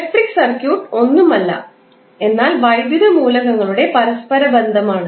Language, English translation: Malayalam, So electric circuit is nothing but interconnection of electrical elements